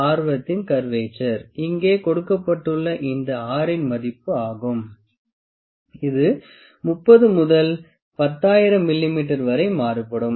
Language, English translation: Tamil, The radius of curvature this R value that is given here, this varies from 30 to 10,000 mm